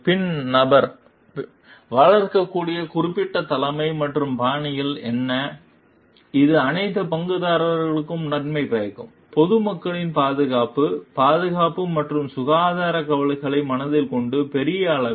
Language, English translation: Tamil, Then what are the in particular situation what styles that person can nurture, which is like beneficial for all the stakeholders; keeping in mind the safety, security of the health concerns, of the public at large